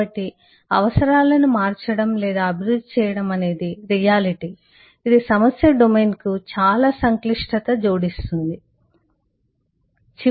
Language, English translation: Telugu, so changing or evolving requirements is a reality which adds to a lot of complexity to the problem domain